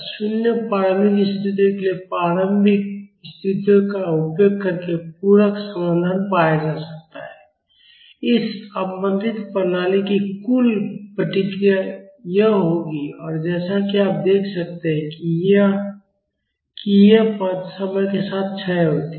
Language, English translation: Hindi, The complementary solution can be found out using the initial conditions for zero initial conditions the total response of this damped system will be this and as you can see these terms decay with time